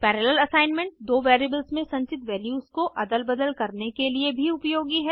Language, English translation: Hindi, Parallel assignment is also useful for swapping the values stored in two variables